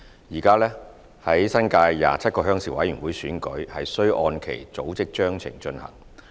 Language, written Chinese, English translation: Cantonese, 現時，新界27個鄉事會選舉須按其組織章程進行。, At present the 27 RCs in the New Territories are required to hold the elections in accordance with their respective Constitutions